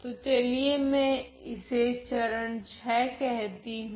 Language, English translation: Hindi, So, let me call this as my step number VI